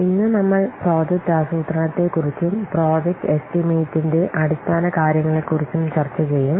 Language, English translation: Malayalam, Today we will discuss about a little bit of project planning and basics of project estimation